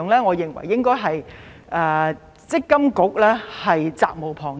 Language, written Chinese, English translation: Cantonese, 我認為積金局責無旁貸。, I think MPFA has an unshirkable responsibility